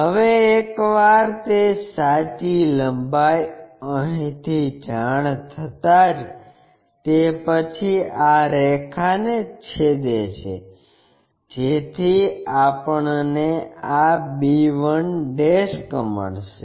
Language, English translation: Gujarati, Now, once that true length is known from here intersect this line so that we will get this b1'